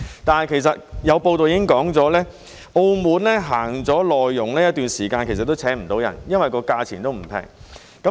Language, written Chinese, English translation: Cantonese, 但是，有報道指出，澳門實行輸入內傭一段時間，但都聘請不到人，因為價錢並不便宜。, However it has been reported that people in Macao where the import of MDHs has been implemented for quite some time are unable to hire MDHs because of their expensive costs